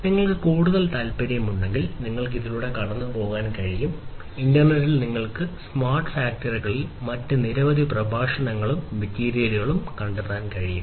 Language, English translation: Malayalam, And if you are further interested you can go through, in the internet you will be able to find lot of different other lectures and different other materials on smart factories